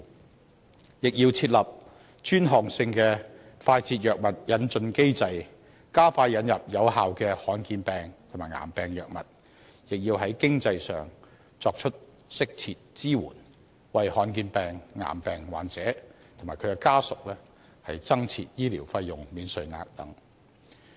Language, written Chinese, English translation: Cantonese, 同時，政府也要設立專項性的快捷藥物引進機制，加快引入有效的罕見疾病及癌病藥物，亦要在經濟上作出適切支援，為罕見疾病和癌病患者及其家屬增設醫療費用免稅額等。, In the meantime the Government should set up a specific mechanism for rapid introduction of drugs to expedite introduction of efficacious drugs for rare diseases and cancer while providing appropriate financial support to offer tax allowance on medical expenses etc . for patients with rare diseases and cancer and their family members